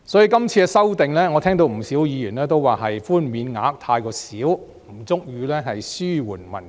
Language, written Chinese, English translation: Cantonese, 就今次的修正案，我聽到不少議員也認為寬免額太少，不足以紓緩民困。, Regarding this amendment many Members have pointed out that the concession is too little and inadequate to relieve the hardships of the people